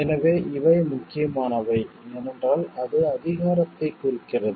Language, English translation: Tamil, So, these are important because, it means power